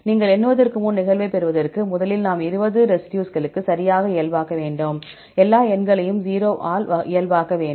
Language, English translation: Tamil, For getting the occurrence before you count, first we need to normalize right for 20 residues, we need to normalize all the numbers into 0